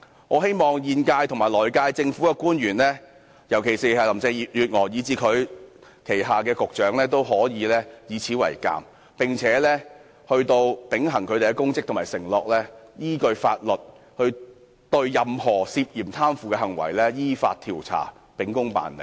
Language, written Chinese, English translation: Cantonese, 我希望現屆和來屆政府的官員，尤其是林鄭月娥及她旗下的局長，均以此為鑒，秉行他們的公職和承諾，依法調查任何涉嫌貪腐的行為，秉公辦理。, I hope the officials of both the incumbent and incoming Governments particularly Carrie LAM and the Directors of Bureaux under her will learn a lesson from this fulfil their public duties and pledges probe into any suspected corrupt practices in accordance with the law and do their jobs impartially